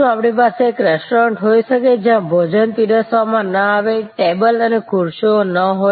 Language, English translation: Gujarati, Can we have a restaurant, where no food is served, there are no tables and chairs